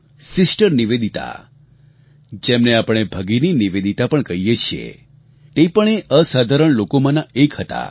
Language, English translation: Gujarati, Sister Nivedita, whom we also know as Bhagini Nivedita, was one such extraordinary person